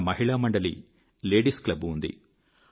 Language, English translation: Telugu, There could be a Ladies' club